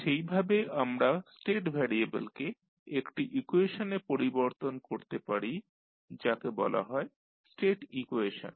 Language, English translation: Bengali, And, accordingly we can sum up the state variable into a equation call the state equation